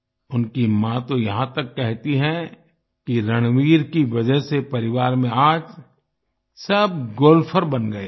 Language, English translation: Hindi, His mother even says that everyone in the family has now become a golfer